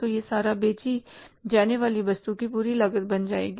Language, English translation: Hindi, So this total will become become the total cost of goods sold